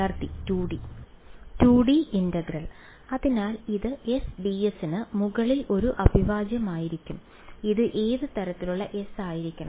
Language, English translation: Malayalam, 2D integral right, so this is going to be an integral over S d s , what kind of S should it be